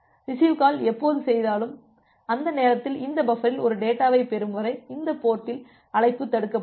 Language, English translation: Tamil, So, it is like that whenever you have made a receive call, during that time the call is getting blocked at this port until you are getting a data in this buffer